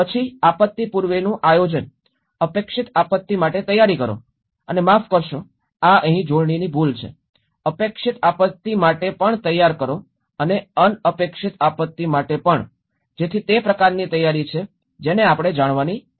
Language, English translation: Gujarati, Then pre disaster planning, prepare for the expected and sorry this is spelling mistake here, prepare for the expected and also the unexpected, so that is kind of preparation we need to go